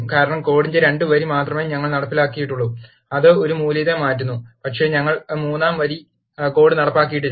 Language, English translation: Malayalam, This is because, we have executed only the line 2 of the code, which change the value of a, but we have not executed the code of line 3